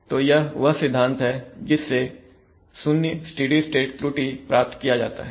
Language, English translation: Hindi, So that is the principle by which 0 steady state error is obtained